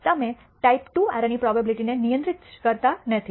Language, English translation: Gujarati, You do not control the type II error probability